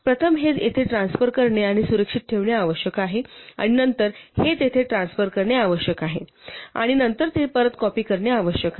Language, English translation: Marathi, You need to first transfer this here and keep it safe, and then you need to transfer this there and then you need to copy it back